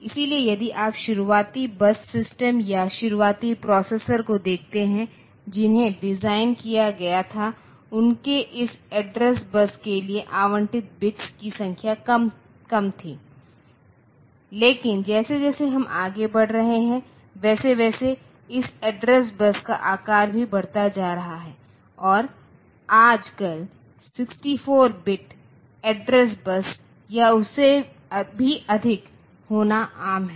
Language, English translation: Hindi, So, if you look into the initial bus systems or initial processors that were designed the number of bits allocated for this address bus was less, but as we are progressing so the size of this address bus is also increasing significantly and now a days it is common to have 64 bit address bus or even higher than that